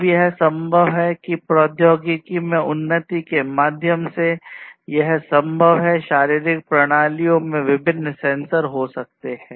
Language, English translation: Hindi, Now, it is possible that through the advancement in technology, it is possible that we can have different, different sensors inside the physiological systems